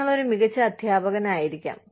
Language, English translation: Malayalam, You may be, an excellent teacher